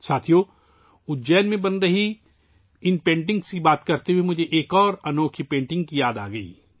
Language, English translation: Urdu, Friends, while referring to these paintings being made in Ujjain, I am reminded of another unique painting